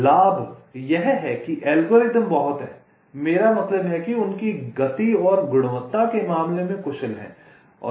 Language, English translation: Hindi, the advantage is that the algorithms are very i mean say, efficient in terms of their speed and quality